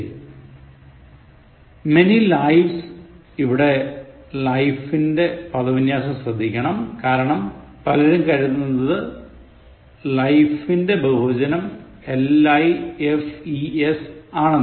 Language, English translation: Malayalam, Many lifes, the spelling should be noted here, life; people think the plural form is lifes